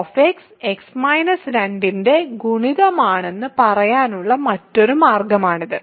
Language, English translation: Malayalam, So, f x is divisible by x minus 2